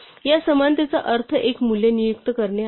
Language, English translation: Marathi, So, this equality means assign a value